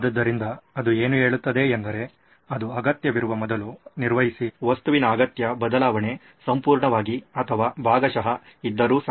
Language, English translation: Kannada, So what it says is that perform before it is needed, the required change of an object either fully or partially